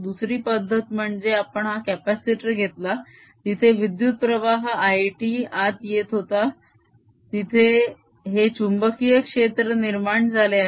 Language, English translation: Marathi, the other way was we took this capacitor in which this current i t was coming in and there was this magnetic field being produced